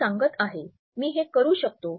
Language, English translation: Marathi, I am telling you, I can do it